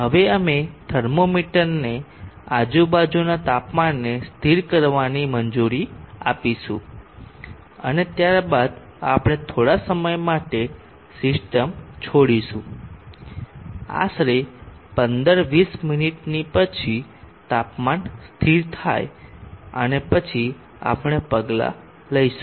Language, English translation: Gujarati, We will now allow the thermometer to stabilize the ambient temperature and then we will leave the system on fort sometime may be around 15, 20 minutes, so that the temperature stabilizes and then we will take the measurement